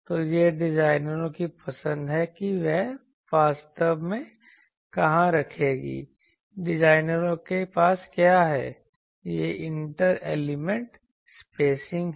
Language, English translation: Hindi, So, this is the designers choice that where he will put actually what designers have that is the inter element spacing